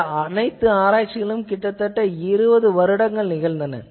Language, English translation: Tamil, , whole research was carried out for almost 20 years